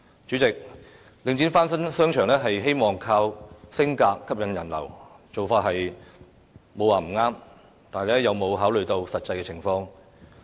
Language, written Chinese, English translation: Cantonese, 主席，領展翻新商場，希望靠"升格"吸引人流，做法並無不對，但有否考慮實際情況？, President there is nothing wrong with Link REIT renovating the shopping arcades hoping that more people can be attracted by the upgraded arcades . But has it considered the actual situation?